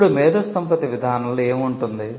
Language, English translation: Telugu, Now, what will an IP policy contain